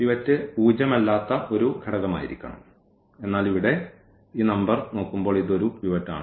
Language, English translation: Malayalam, The pivot has to be a non zero element, but looking at this number here this is a pivot